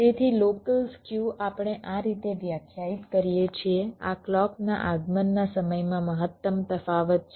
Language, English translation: Gujarati, so local skew we define like this: this is the maximum difference in the clock, clock arrival time